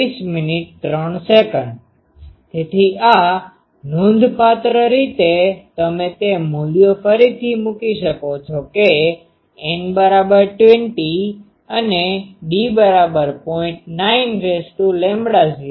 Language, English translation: Gujarati, So, this is substantially you can put those values again that N is equal to 20 and d is equal to 0